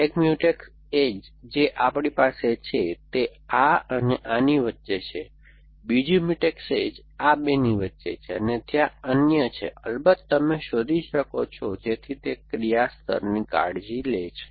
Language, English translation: Gujarati, So, one Mutex edge that we have is between this and this, another Mutex edge is between these two, and there are others, of course that you can find, so that takes care of the action layer